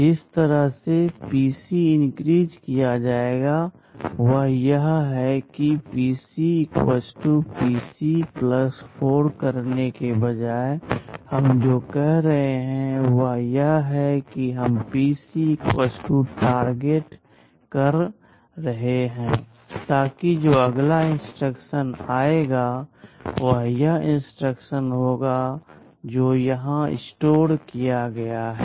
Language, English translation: Hindi, The way PC will be incremented is that instead of doing PC = PC + 4, what we are saying is that we will be doing PC = Target, so that the next instruction that will be fetched will be this instruction which is stored here